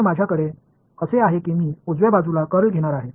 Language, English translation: Marathi, So, I have so I am going to take a curl on the right hand side also alright